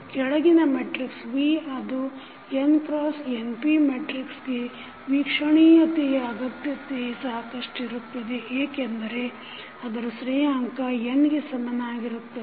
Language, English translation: Kannada, It is necessary and sufficient that the following matrix V that is n cross np matrix observability matrix as the rank equal to n